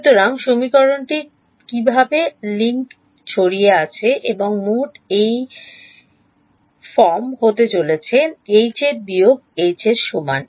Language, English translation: Bengali, So, what is the equation that links scattered and total it is going to be of this form H s minus H is equal to